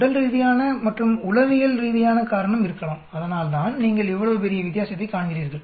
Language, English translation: Tamil, There could be a physiological as well as psychological reason that is why you find such large difference